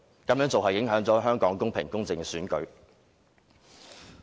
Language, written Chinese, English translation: Cantonese, 他們這樣做，影響了香港公平、公正的選舉。, As a result of their actions Hong Kongs elections cannot be held in a fair and equitable manner